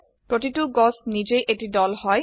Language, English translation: Assamese, Each tree is also a group by itself